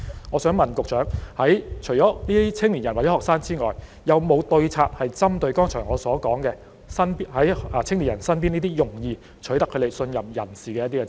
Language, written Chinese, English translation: Cantonese, 我想問局長，除了青年人或學生之外，有沒有對策針對我剛才所說在青年人身邊容易取信於他們的人呢？, My question for the Secretary is Apart from focusing our efforts on young people or students does the Government have any strategy in place to guard against people around them who can easily gain their trust as I have just said?